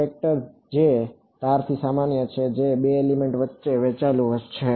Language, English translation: Gujarati, A vector which is normal to the edge, that is shared between 2 elements